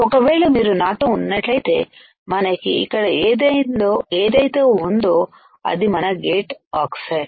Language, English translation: Telugu, So, if you are with me we have here which is our gate oxide What is the next step